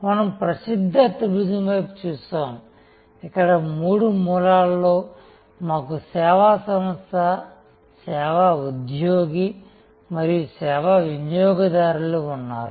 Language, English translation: Telugu, We looked at the famous triangle, where at the three corners we have the service organization, the service employee and the service consumer